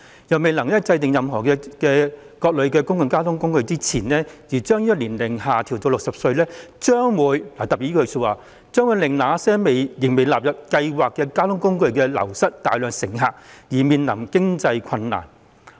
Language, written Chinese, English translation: Cantonese, 如未能制訂如何加入更多類型的公共交通工具前，推行將年齡資格下調至60歲，將會令那些仍未納入優惠計劃的公共交通工具流失大量乘客，因而面臨經濟困難。, If the eligible age is lowered to 60 before a decision is made on how other public transport modes could be included public transport modes that have not been included in the Scheme may lose a large number of passengers and therefore face financial difficulty